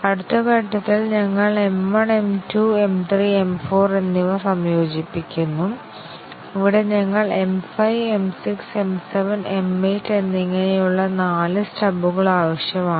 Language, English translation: Malayalam, In the next step, we integrate M 1, M 2, M 3 and M 4, and here we need four stubs, stubs for M 5, M 6, M 7 and M 8 and so on